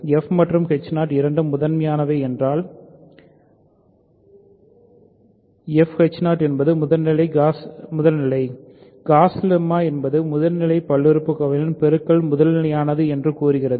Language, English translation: Tamil, If f and h 0 are both primitive; f h 0 is primitive gauss lemma says simply that product of primitive polynomials is primitive